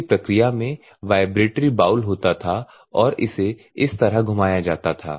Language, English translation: Hindi, In the previous one what will happen vibratory bowl will be there and it will be rotated like this